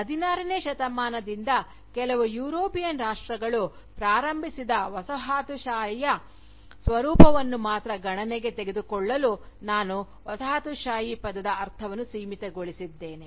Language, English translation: Kannada, And, I had limited the meaning of the term Colonialism, to take into account, only that form of Colonialism, which was initiated by certain European countries, since the 16th century